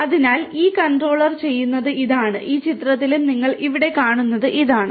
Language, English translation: Malayalam, So, this is what this controller does and this is what you see over here in this picture as well